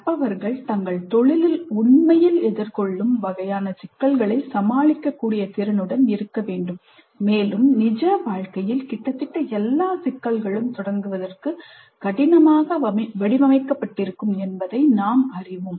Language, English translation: Tamil, Learners must be able to deal with this kind of problems that they will actually encounter in their profession and we know that in their life almost all the problems are ill structured to begin with